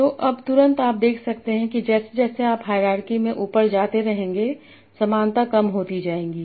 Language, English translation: Hindi, So now immediately you can see that as you keep on going up in the hierarchy the similarity will be decreasing